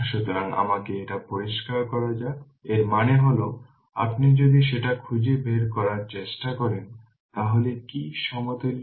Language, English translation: Bengali, So, let me clear it so; that means, if you try to find out that that what is the then then what is the equivalent one